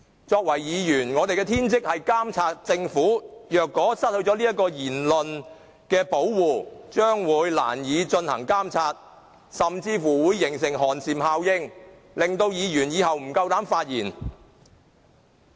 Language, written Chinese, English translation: Cantonese, 作為議員，我們的天職是監察政府，如果失去了言論的保護，將會難以監察政府，甚至會造成寒蟬效應，令到議員不敢發言。, As Members our primal duty is to monitor the Government . If we lose our speech protection it will be hard for us to monitor the Government and the chilling effect this might generate could even silence the Members